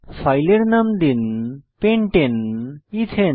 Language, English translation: Bengali, Select the file named pentane ethane from the list